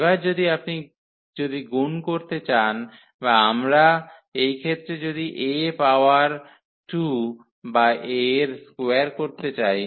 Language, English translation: Bengali, So, having this relation then if you want to multiply or we want to get this A power 2 or A square in that case